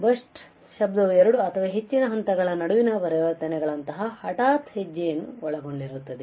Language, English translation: Kannada, Burst noise consists of sudden step like transitions between two or more levels